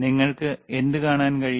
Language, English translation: Malayalam, What you will able to see